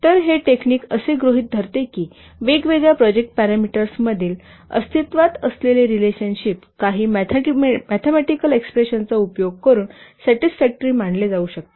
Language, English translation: Marathi, So, this technique assumes that the relationship which exists among the different project parameters can be satisfactorily modeled using some mathematical expressions